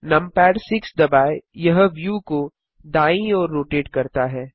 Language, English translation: Hindi, Press num pad 6 the view rotates to the right